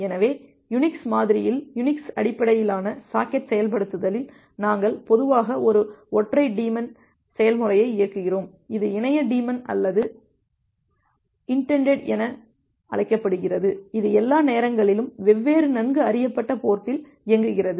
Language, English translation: Tamil, So, in a Unix model, Unix based socket implementation, we normally run a single daemon process, which is called as a internet daemon or inetd, this inetd it runs all the times at different well known ports